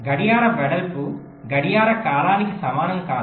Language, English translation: Telugu, clock width is not equal to the clock period